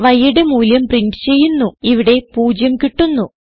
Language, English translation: Malayalam, We print the value of y, here we get 0